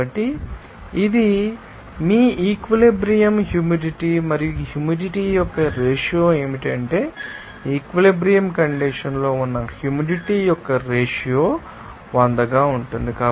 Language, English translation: Telugu, So, this is your saturation humidity and what do ratio of humidity that is you know ratio of that humidity to that at saturation condition into 100